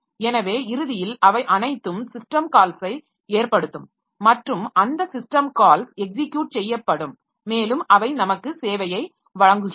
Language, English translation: Tamil, So ultimately all of them boil down to system calls and those system calls they will be executed and they gives us the service